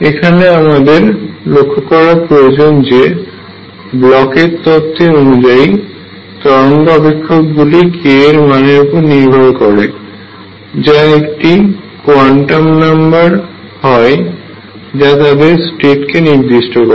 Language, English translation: Bengali, Notice that Bloch’s theorem said that wave function depends on k which is a quantum number that specifies the state